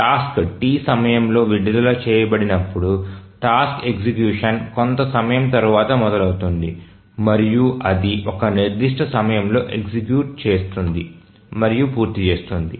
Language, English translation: Telugu, So as the task is released at time T, the task execution starts after some time and then it executes and completes at certain time